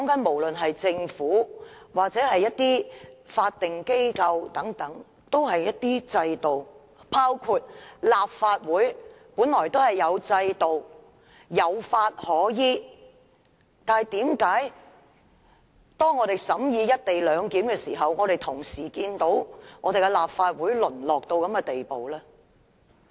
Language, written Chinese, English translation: Cantonese, 無論政府或法定機構均有制度，包括立法會本來也有制度，有法可依，但為甚麼立法會審議《廣深港高鐵條例草案》的時候，卻會淪落至這種地步？, Any government or statutory body has some systems to rely on . Likewise the Legislative Council should also have some systems or laws to rely on . But why has this Council reached this stage in vetting the Guangzhou - Shenzhen - Hong Kong Express Rail Link Co - location Bill the Bill?